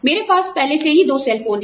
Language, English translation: Hindi, I already have two cell phones